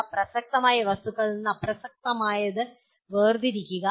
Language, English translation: Malayalam, Distinguishing relevant from irrelevant facts